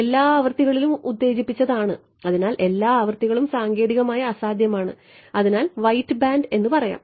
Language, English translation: Malayalam, Excited with all frequencies right; so, that is well all frequencies is technically impossible white band right